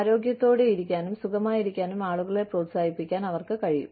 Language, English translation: Malayalam, They can encourage people, to stay healthy, and stay well